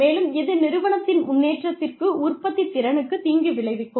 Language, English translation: Tamil, And, that could be detrimental, to the progress, to the productivity, of the organization